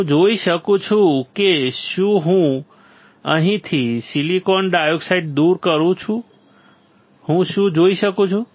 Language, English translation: Gujarati, I can see if I remove the silicon dioxide from here, what I can see